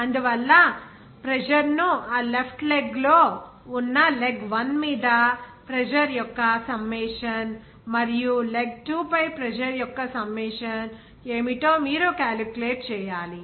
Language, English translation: Telugu, So, that is why you have to calculate what should be the pressure, summation of pressure on that leg one that is in the left leg and what would be the summation of pressure on leg two